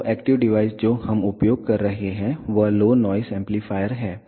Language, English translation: Hindi, So, the active device that we are using is low noise amplifier